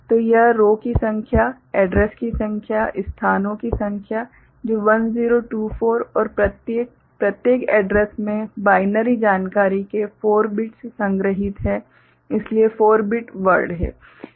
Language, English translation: Hindi, So, this is the number of rows, that number of addresses, number of locations, that is 1024 and each; in each address there are 4 bits of binary information is stored, so 4 bit word is there